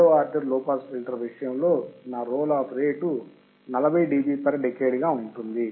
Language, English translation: Telugu, In case of second order low pass filter, my roll off rate will be 40 dB per decade